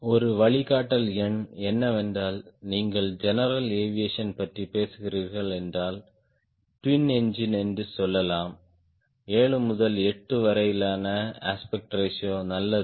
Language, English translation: Tamil, to start with, a guideline number is, if you are talking about general aviation, gets a twin engine aspect ratio around seven to eight is good